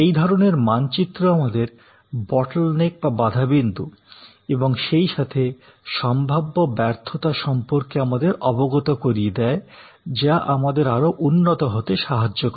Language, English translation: Bengali, So, this kind of maps tells us about bottleneck as well as possible failures then that will help us to improve